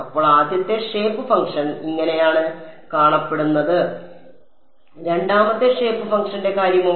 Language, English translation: Malayalam, So, this is what the first shape function looks like what about the second shape function